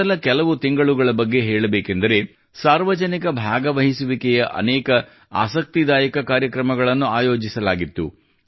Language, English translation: Kannada, If we talk about just the first few months, we got to see many interesting programs related to public participation